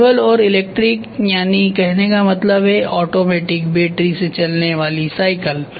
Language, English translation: Hindi, Manual and electric that means to say automatic battery operated bicycles are there